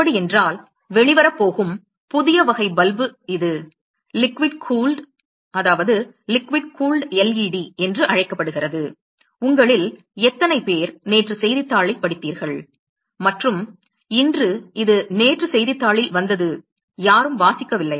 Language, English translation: Tamil, So, this is new type of bulb that is going to come out it is called a liquid cooled LED how many of you read the newspaper yesterday and today it came out yesterday in newspaper nobody